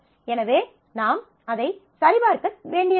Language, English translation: Tamil, So, I do not have to check for that, but